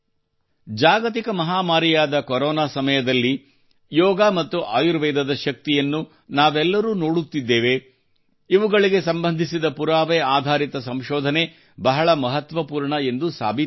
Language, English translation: Kannada, The way we all are seeing the power of Yoga and Ayurveda in this time of the Corona global pandemic, evidencebased research related to these will prove to be very significant